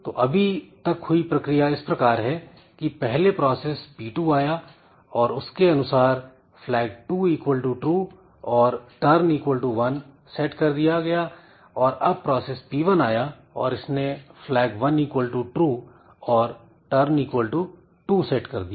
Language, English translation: Hindi, So, if I assume that first the process P2 came and then it set this flag 2 equal to true and 2 and turn equal to 1 and then process 1 came and process 1 set this turn a flag equal to 2 and turn equal to 2